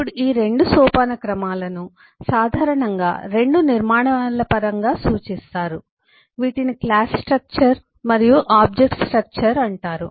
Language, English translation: Telugu, now these 2 hierarchies are typically referred in terms of 2 structures known as a class structure and object structure